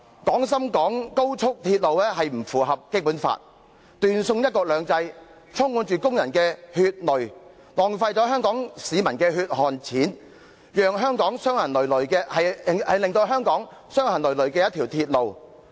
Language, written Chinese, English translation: Cantonese, "廣深港高速鐵路並不符合《基本法》，既斷送"一國兩制"，充滿着工人的血淚，更是浪費香港市民的血汗錢，是一條令香港傷痕累累的鐵路。, Being inconsistent with the Basic Law the Guangzhou - Shenzhen - Hong Kong Express Rail Link only serves to bring an end to the one country two systems while wasting Hong Kong peoples hard - earned money as well as the blood and tears shed by those workers having engaged in its construction . It is a rail road that will only leave Hong Kong with scars